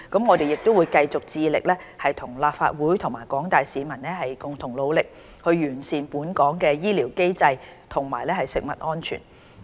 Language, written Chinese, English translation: Cantonese, 我們會繼續致力與立法會和廣大市民共同努力，完善本港的醫療機制和食物安全。, We will continue working with the Legislative Council and the general public to improve the health care mechanism and food safety in Hong Kong